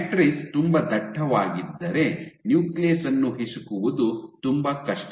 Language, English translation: Kannada, So, if the matrices very dense it is very difficult for the nucleus to be squeezed